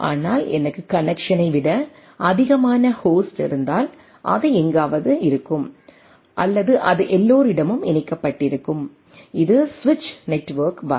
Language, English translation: Tamil, But if I have more host than the connection will be somewhere like that right or it will be everybody is connected to everybody, this is switch network this a type of thing